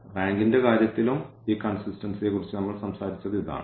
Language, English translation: Malayalam, This is what we talked about this consistency in terms of the rank as well